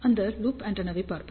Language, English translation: Tamil, We will see that loop antenna